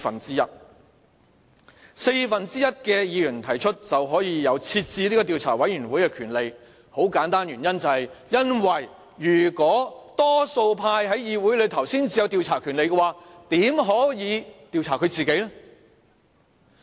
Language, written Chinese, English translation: Cantonese, 只需四分之一的議員提出便可成立調查委員會的權力，原因很簡單，因為如果多數派在議會內才有調查權力，怎可能會調查自己呢？, The reason for this is very simple . Suppose only the majority in the legislature can invoke the power of inquiry how can it be expected to investigate itself?